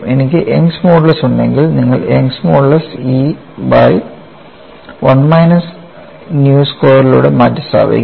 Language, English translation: Malayalam, If I have the young's modules you replace young's modules E by 1 minus nu squared